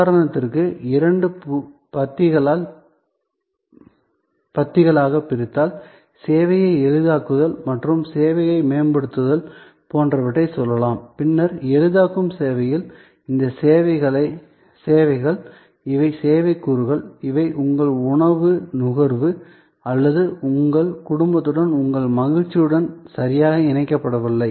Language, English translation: Tamil, So, let say for example, facilitating service and enhancing services if we divide in two columns, then on the facilitating service, these are services, these are service elements, which are not exactly connected to your consumption of food or your enjoyment with your family, but these are very important